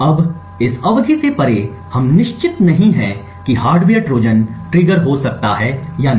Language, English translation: Hindi, Now beyond this epoch period we are not certain whether a hardware Trojan may get triggered or not